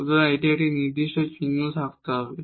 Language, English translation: Bengali, So, it has it must have some determined sign